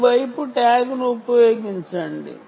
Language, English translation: Telugu, use the tag on this side